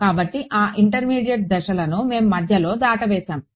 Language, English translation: Telugu, So, those intermediate steps we have skipped in between